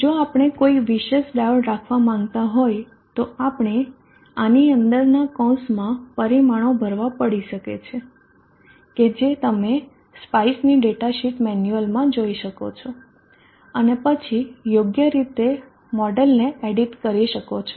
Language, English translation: Gujarati, If we want to have any specific special diodes we may have to fill in the parameters within this parenthesis that you can look into the data sheet manual or spice and then appropriately edit the models